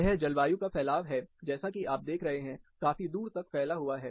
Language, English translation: Hindi, This is a spread of climate as you see, the distribution is quite far